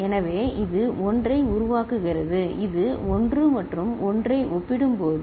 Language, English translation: Tamil, So, it is generating 1, this 1 and 1 compared